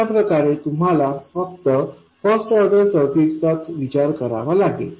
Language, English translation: Marathi, This way you will only have to consider first order circuits